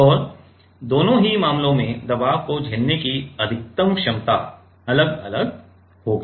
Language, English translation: Hindi, And both the cases the maximum capability of withstanding the pressure will be different